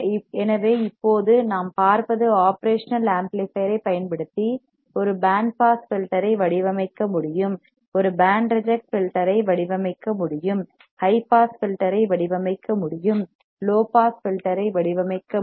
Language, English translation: Tamil, So, now what we see is using the operational amplifier we can design a band pass filter, we can design a band reject filter, we can design high pass filter, we can design a low pass filter